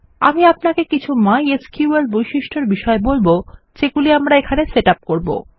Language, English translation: Bengali, Ill take you through some of the mySQL features that we will set up